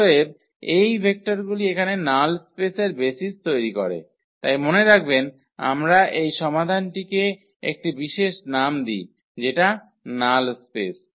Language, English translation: Bengali, Therefore, these vectors form a basis of the null space here remember so, we call this solution set there was a special name which we call null space